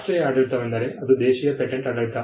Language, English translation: Kannada, The national regime is nothing, but the domestic patent regime